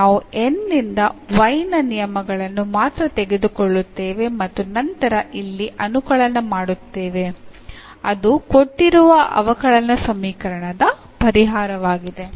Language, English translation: Kannada, So, only the terms of y if we take from N and then this integrate here that is exactly the solution of the given differential equation